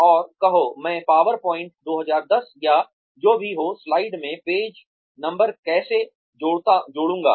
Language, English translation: Hindi, And say, how will I add page numbers to slides, in say, PowerPoint 2010 or whatever